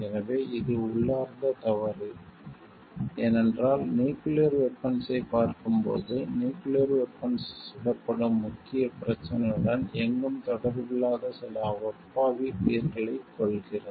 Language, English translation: Tamil, So, it is to intrinsically wrong, because see nuclear weapon, it is claiming some innocent lives who are nowhere connected with the main issue for which nuclear weapons are getting fired